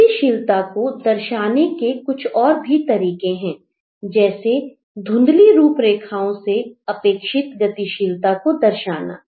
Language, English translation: Hindi, There are other ways to show movement through fuzzy outlines, through anticipated movement